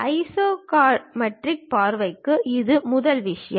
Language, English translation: Tamil, That is the first thing for isometric view